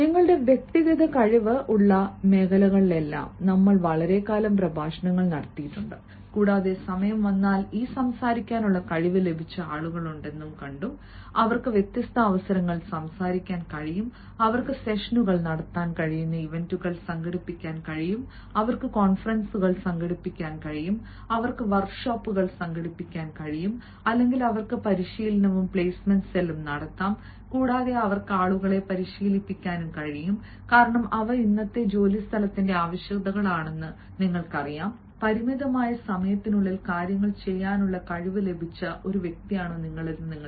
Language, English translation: Malayalam, do we have people who have got this speaking ability that if time comes they can speak on different occasions, they can organize events, they can conduct sessions, they can organize conferences, they can organize workshops or they can have a training and placement cell and they can train people, because you know these are the requisites of todays workplace and whether you are a person who has got the capability to do things in a limited amount of time